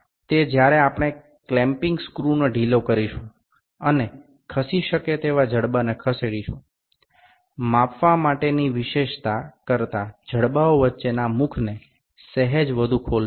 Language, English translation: Gujarati, It is when we loosen the clamping screw and slide the moveable jaw, altering the opening between the jaws slightly more than the feature to be measured